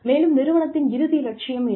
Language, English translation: Tamil, And, what the ultimate goal of the company is